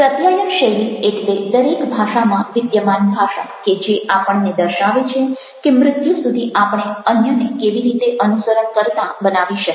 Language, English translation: Gujarati, communication style: the language that exists within all languages and shows us how to use a style to get others to follow us to death